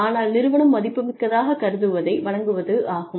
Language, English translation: Tamil, But, anything that, the company considers valuable